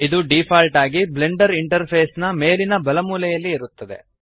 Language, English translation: Kannada, By default it is present at the top right corner of the Blender Interface